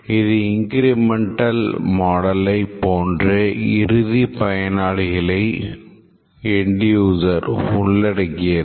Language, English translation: Tamil, This model, just like the incremental model, involves the end users